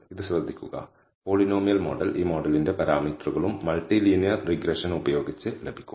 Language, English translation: Malayalam, Notice this, the polynomial model, can also be the parameters of this model can be obtained using multi linear regression